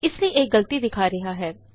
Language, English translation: Punjabi, Hence it is giving an error